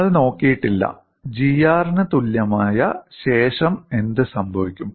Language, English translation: Malayalam, We have not looked at, after G equal to R, what happens